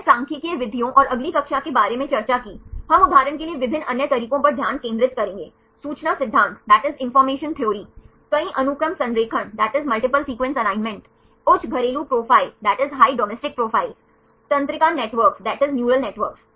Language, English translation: Hindi, We discussed about the statistical methods and next class we will focus on the different other methods for example, the information theory, multiple sequence alignment, high domestic profiles, the neural networks